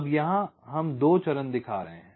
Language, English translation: Hindi, ok, now here we show two phase clocking